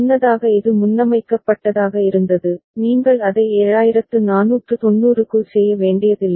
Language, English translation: Tamil, Earlier it was preset it, you need not to do it for 7490